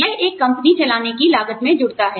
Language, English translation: Hindi, It adds, to the cost of running a company